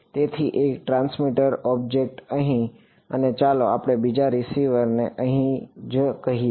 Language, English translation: Gujarati, So, one transmitter object over here and let us say another receiver over here right